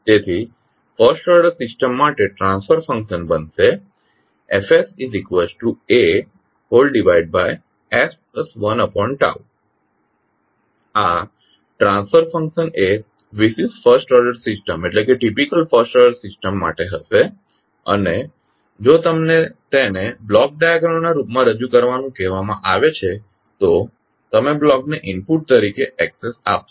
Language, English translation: Gujarati, So this will be the transfer function for a typical first order system and if you are asked to represent it in the form of block diagram, so you will give Xs as an input to the block